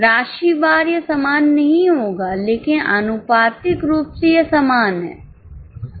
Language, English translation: Hindi, Quantum amount wise it won't be same but proportionately it is same